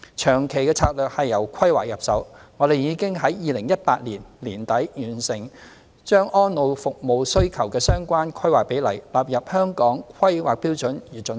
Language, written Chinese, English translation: Cantonese, 長期策略是由規劃入手，我們已在2018年年底，完成把安老服務需求的相關規劃比率納入《香港規劃標準與準則》。, As for the long - term strategy we will start with planning . At the end of 2018 the relevant planning ratio for the demand for elderly care services was included in the Hong Kong Planning Standards and Guidelines